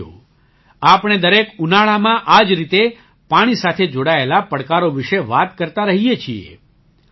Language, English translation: Gujarati, Friends, we keep talking about the challenges related to water every summer